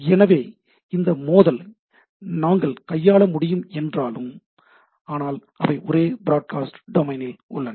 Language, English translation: Tamil, So, though we could handle this collision, but they are in the same broadcast domain, right